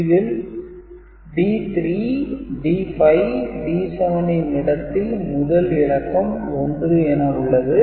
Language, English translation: Tamil, And in this case D 3, D 5, D 7 are not there, so 0 0 0 1